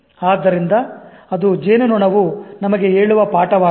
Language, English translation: Kannada, So that is the lesson that this bumblebee tells us